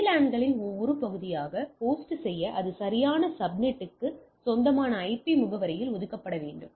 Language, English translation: Tamil, In order to host be a part of the VLANs it must assigned in IP address that belongs to the proper subnet that is important